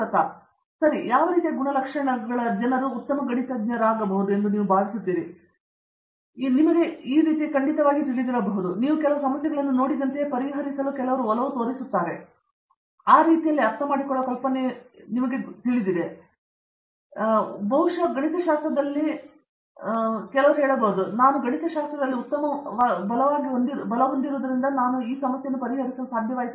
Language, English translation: Kannada, Ok ok and what sort of characteristic you think people should have to be good mathematicians, I mean in the sense how can how can someone you know of course, you have seen one is an inclination you tend to solve some problems and you feel comfortable with idea that I understand, but over and above that is there some visualization capability that you I mean what should a person see in themselves and say okay this I am able to do this, probably I am good at mathematics other than just being able to solve the problem